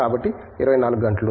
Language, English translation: Telugu, So, 24 hours